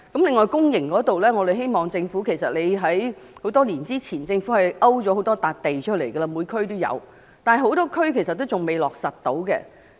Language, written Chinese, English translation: Cantonese, 此外，公營骨灰龕方面，政府很多年前已在各區勾出了多塊土地，但仍有很多地區仍未落實興建。, Besides in the case of public columbaria the Government has already earmarked a number of sites in various districts many years ago but their implementation was still pending in many areas